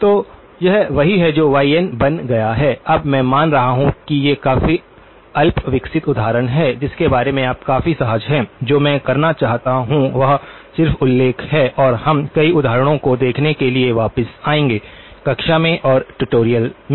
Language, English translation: Hindi, So, this is the that becomes y of n now, the I am assuming that these are fairly rudimentary examples which you are quite comfortable with, what I would like to do is just mention and we will come back to look at several examples both in the class and in the tutorials